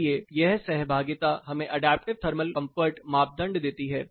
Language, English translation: Hindi, So this interaction builds us the adaptive comfort criteria